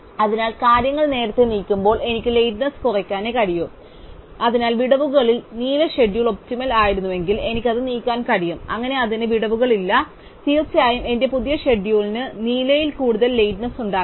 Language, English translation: Malayalam, So, when moving things earlier I can only reduce the lateness, so if the blue schedule with gaps was optimal, I can move it, so that it does not have gaps and certainly my new schedule will have no more lateness in the blue one